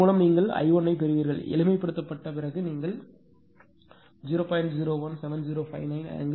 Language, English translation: Tamil, With this you will get I 1 is equal to after simplification you will get 0